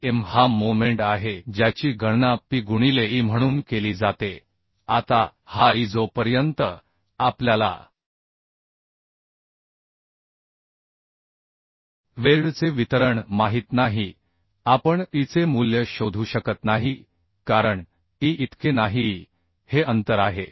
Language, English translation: Marathi, And M is the moment which is calculated as P into e now this e unless we know the distribution of the weld we cannot find out the value of e because e is not this much e is the distance between load and the cg of the weld group